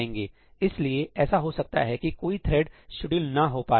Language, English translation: Hindi, So, maybe one of the threads does not get scheduled